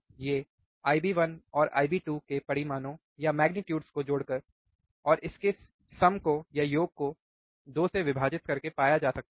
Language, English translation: Hindi, Which is which can be found by adding the magnitudes of I B one and I B 2 and dividing by sum of 2